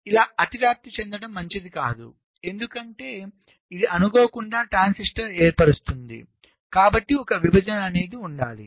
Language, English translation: Telugu, so it is not desirable to have an overlapping like this because it may accidently form a transistor